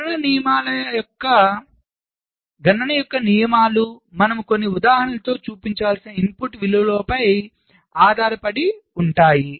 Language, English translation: Telugu, the rules for computation will depend on the input values, like i shall show with some examples